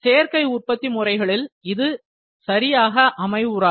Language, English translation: Tamil, In additive manufacturing, this does not hold good